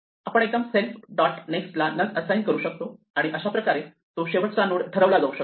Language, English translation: Marathi, So, we can also directly assign self dot next is equal none and it would basically make this node the last node